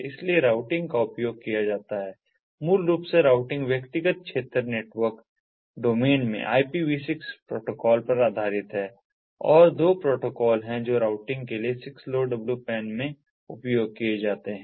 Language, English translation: Hindi, routing basically is based on the ipv six protocol in the personal area network domain and there are two protocols that are used in six lowpan for routing